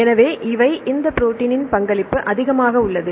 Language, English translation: Tamil, So, about this is the higher contribution of this protein